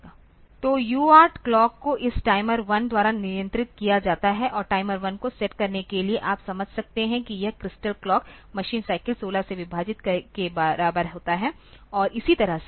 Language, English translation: Hindi, So, UART clock is controlled by this timer 1 and for setting the timer 1 you can understand that this crystal is a crystal clock is machine cycle is divided by 16 and that way